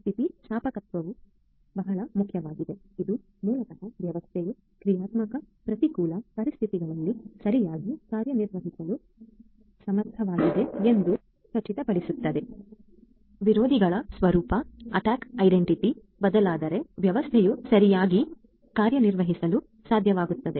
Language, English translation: Kannada, Resilience is very important which basically ensures that the system is able to function correctly on adversarial on dynamic adversarial conditions; if the nature of the adversaries changes, then also the system would be able to function correctly